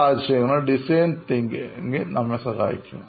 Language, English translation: Malayalam, So design thinking will help us